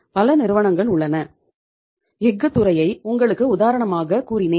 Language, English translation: Tamil, There are the companies for example I was giving you the example of the steel sector